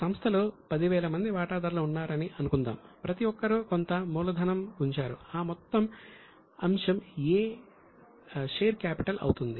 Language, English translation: Telugu, So, for so many shareholders, suppose there are 10,000 shareholders in the company, everybody would have put in some capital that total is the item number A, share capital